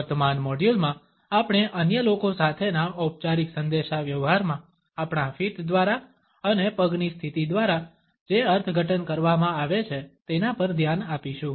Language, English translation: Gujarati, In the current module we would look at the interpretations which are communicated by our feet and by the positioning of legs in our formal communication with others